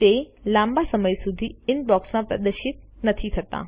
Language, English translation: Gujarati, It is no longer displayed in the Inbox